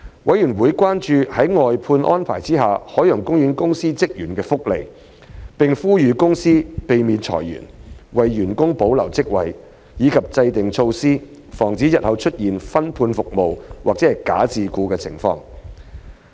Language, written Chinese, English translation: Cantonese, 委員關注在外判安排下海洋公園公司職員的福利，並呼籲海洋公園公司避免裁員、為員工保留職位，以及制訂措施防止日後出現"分判服務"或"假自僱"的情況。, Some members are concerned about the welfare of OPCs staff under the outsourcing arrangements . They call on OPC to avoid redundancy and to preserve jobs for its employees as well as devising measures to avoid sub - contracting of services or false self - employment in the future